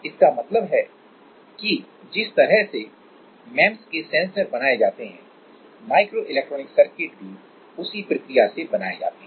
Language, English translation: Hindi, It means that the way this kind of sensors are made, same way the microelectronic circuits are also made like the similar way